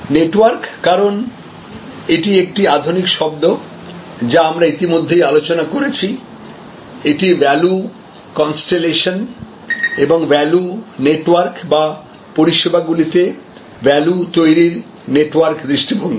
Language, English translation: Bengali, Network, because this is a modern idiom that we have already introduced, this the whole concept of value constellation and value networks or the network view of value creation in services